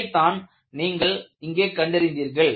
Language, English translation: Tamil, So,that is what you find here